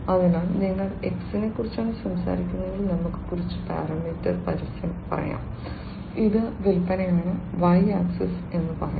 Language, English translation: Malayalam, So, if you are talking about something X let us say some parameter advertisement let us say and let us say that this is the sale the Y axis right